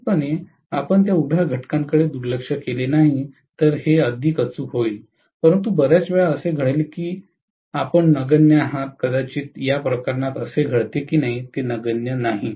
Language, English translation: Marathi, Definitely, if you do not neglect that vertical component it will be more accurate but most of the times it happens to be you know negligible, maybe in this case it so happens that it is not negligible